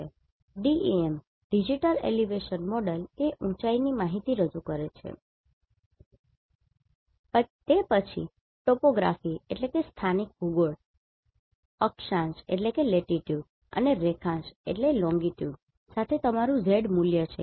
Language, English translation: Gujarati, So, Digital elevation Model represents height information then that is your Z value along with latitude and longitude of the topography